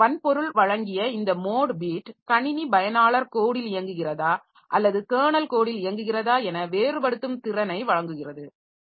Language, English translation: Tamil, So, this mode bit provided by the hardware it provides ability to distinguish when the system is running in user code or kernel code